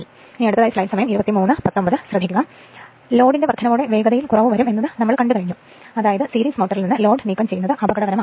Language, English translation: Malayalam, Therefore, it is thus dangerous to remove the load completely from the series motor